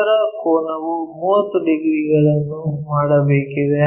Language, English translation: Kannada, The other angle supposed to make 30 degrees